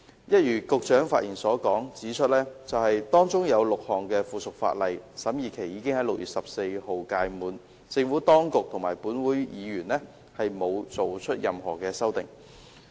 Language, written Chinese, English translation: Cantonese, 一如局長發言時指出 ，6 項附屬法例的審議期已在6月14日屆滿，政府當局及本會議員均沒有提出任何修訂。, As pointed out by the Secretary in his speech the vetting period of the six items of subsidiary legislation already expired on 14 June . Neither the Administration nor any Member of this Council has proposed any amendment